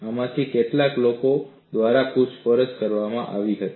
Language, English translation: Gujarati, Some of these were questioned by people